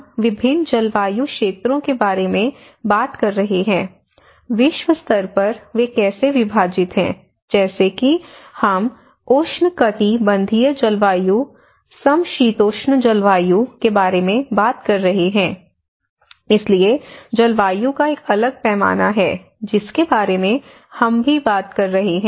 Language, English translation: Hindi, Again, we are talking about different climatic zones, in a globally how they are divided like we are talking about the tropical climates, temperate climates, so there is a different scales of climate which we are also talking about